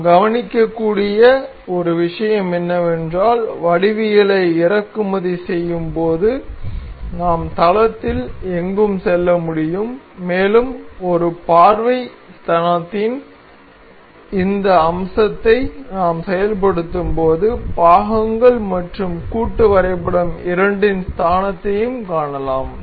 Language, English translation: Tamil, One thing we can note is that while importing the geometry we can move anywhere in the plane and while we have activated this feature of a view origins we can see the origins of both the parts and the assembly